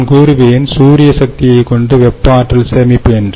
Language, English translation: Tamil, so solar, or rather i would say solar power, with thermal energy storage